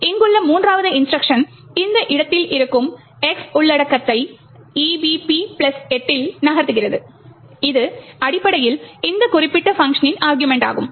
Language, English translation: Tamil, The third instruction this one here moves the content of X that is present in this location EBP plus 8, which essentially is the argument this particular function